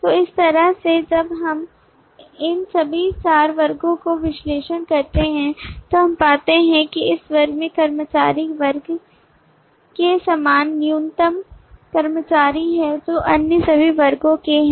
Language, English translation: Hindi, so in this way when we analyze all these four classes we find that this class the employee class has kind of the common minimum staff which all other classes have